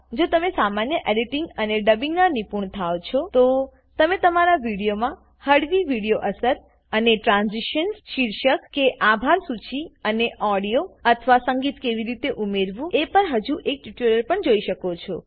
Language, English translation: Gujarati, Once you are conversant with basic editing and dubbing, you may want to watch yet another tutorial on how to add some cool video effects and transitions, titles or credits and audio or music to your video